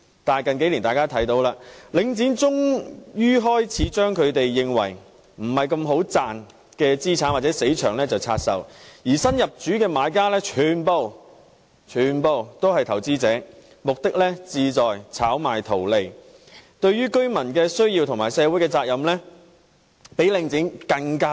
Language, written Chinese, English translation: Cantonese, 但是，在近數年，大家看到領展終於開始將他們認為利潤不高的資產或"死場"拆售，而新入主的買家全部也是投資者，他們旨在炒賣圖利，對於居民的需要和社會責任比領展更不關心。, However in recent years we can see that Link REIT has eventually begun to hive off what it considers to be low - return assets or stagnant malls and the buyers who took control of them are all investors . Their aim is just to flip them so they are even less concerned about residents needs or social responsibility than Link REIT is